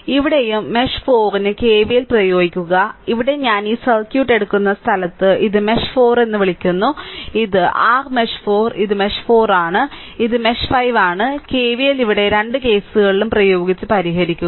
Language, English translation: Malayalam, So, here also for mesh 4 you apply KVL, here where I am taking this circuit this is you are calling mesh 4 right, this is your mesh 4, this is mesh 4 and this is mesh 5 you apply KVL here right both the cases and just solve it